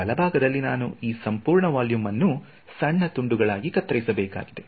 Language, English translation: Kannada, So, on the right hand side, I have to chop up this entire volume into small cubes right